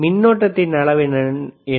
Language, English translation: Tamil, What is the current